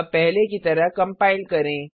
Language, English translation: Hindi, Now compile as before, execute as before